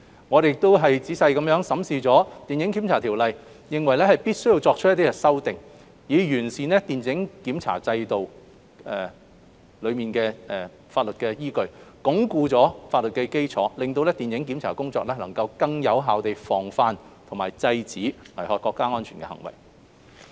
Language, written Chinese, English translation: Cantonese, 我們亦仔細審視了《電影檢查條例》，認為必須作出一些修訂，以完善電影檢查規管制度的法律依據，鞏固法律基礎，令電影檢查工作能夠更有效地防範和制止危害國家安全的行為。, We have also carefully examined the Film Censorship Ordinance and considered it necessary to make some amendments to improve the legal basis of the film censorship regulatory regime and to strengthen the legal foundation so that our film censorship work could prevent and suppress acts that are harmful to national security in a more effective way